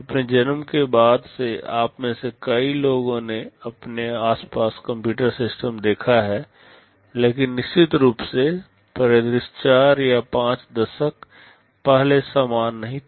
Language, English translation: Hindi, Since our birth many of you have seen computer systems around you, but of course, the scenario was not the same maybe 4 or 5 decades back